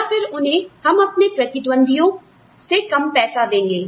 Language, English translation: Hindi, Or, we will give them more money, than our competitors, are giving them